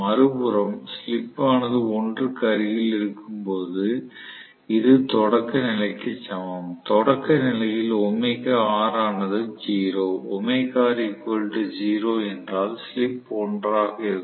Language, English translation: Tamil, On the other hand, when we say, when the slip is close to 1 which is equivalent to the starting condition, starting condition omega R is 0, if omega R is 0 the slip is 1